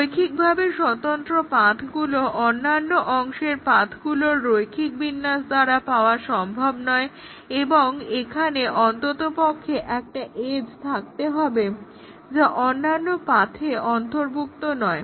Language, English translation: Bengali, So, any path would not be in a linearly independent set of path would not be obtainable by a linear combination of other part paths in the set and there would be at least one edge that is not included in other paths